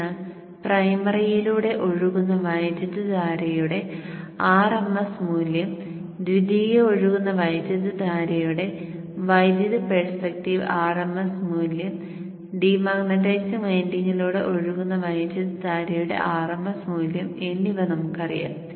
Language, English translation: Malayalam, So, RMS value of current flowing through the primary, we know that from the electrical perspective, RMS value of the current flowing through the secondary is known, RMS value of the current flowing through the dematizing winding